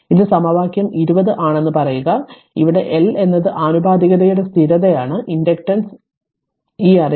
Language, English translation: Malayalam, Say this is equation 20 where L is constant of proportionality called inductance this you know right